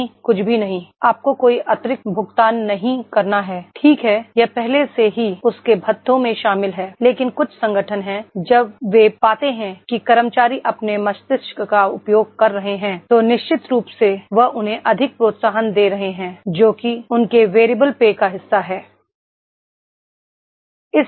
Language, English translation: Hindi, No, nothing, you are not you have to pay any additional, right it is already encompasses in his perks but there are certain organisations when they find that is the employees are using their brain then definitely they are giving more incentives as a part of their variable pay is there